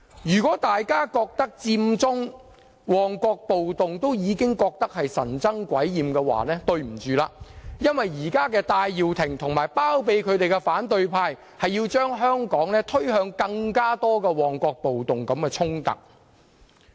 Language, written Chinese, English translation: Cantonese, 如果大家認為佔中、旺角暴動已令人神憎鬼厭，對不起，因為現在戴耀廷和包庇他的反對派要將香港推向更多如旺角暴動般的衝突。, If everyone thinks the Occupy Central movement and the Mong Kok riots were extremely annoying sorry I must say that Benny TAI and the opposition camp harbouring him will push Hong Kong towards more conflicts like the Mong Kok riots